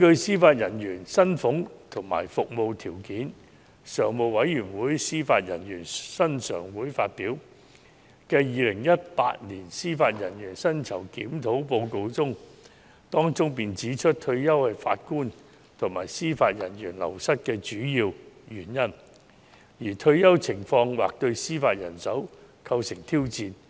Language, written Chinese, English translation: Cantonese, 司法人員薪俸及服務條件常務委員會發表的《二零一八年司法人員薪酬檢討報告》指出："退休是法官及司法人員流失的主要原因，而退休情況或對司法人手構成挑戰。, It is stated in the Judicial Remuneration Review 2018 published by the Standing Committee on Judicial Salaries and Conditions of Service that retirement is the main source of wastage among JJOs and the retirement situation may pose challenges to judicial manpower